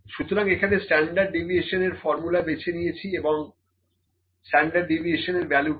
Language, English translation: Bengali, So, I pick the formula of standard deviation here and found the standard deviation value as 0